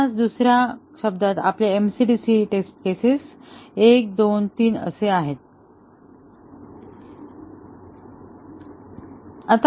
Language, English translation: Marathi, Or in other words, our MCDC test case will be 1 plus 2 plus 3